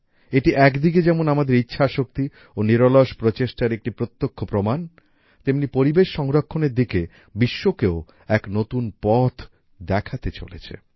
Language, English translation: Bengali, Whereas this evidence is direct proof of our willpower and tireless efforts, on the other hand, it is also going to show a new path to the world in the direction of environmental protection